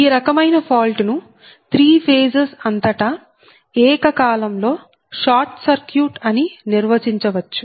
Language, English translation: Telugu, so this type of fault can be defined as the simultaneous short circuit across all the three phases